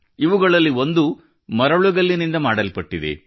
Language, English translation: Kannada, One of these is made of Sandstone